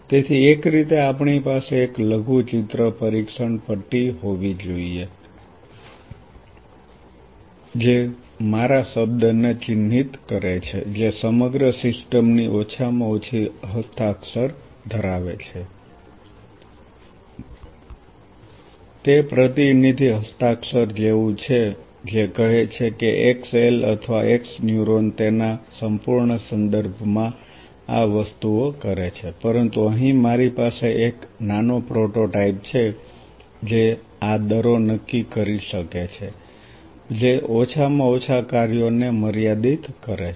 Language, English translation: Gujarati, So, in a way we should have a miniaturized testbed which carries mark my word which carries the minimum signature bare minimum signature of the whole system it is like representative signature that say xl or x neuron does these things in its whole total context, but here I have a small prototype which can perform these rates limiting bare minimum functions